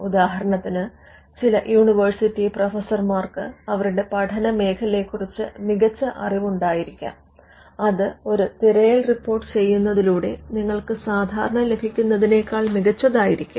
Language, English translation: Malayalam, For instance, some university professors may have cutting edge knowledge about their field which would be much better than what you would normally get by doing a search report